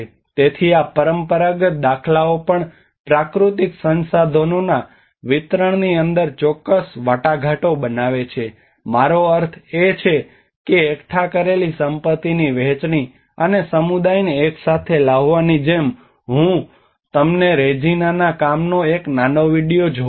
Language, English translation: Gujarati, So even these traditional patterns also formulate certain negotiations within the distribution of natural resources accumulate I mean sharing of the accumulated wealth, and bringing the community together like I will show you a small video of Reginaís work watch it